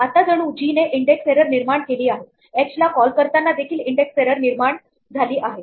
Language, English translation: Marathi, Now, it is as though g has generated an index error calling h has generated an index error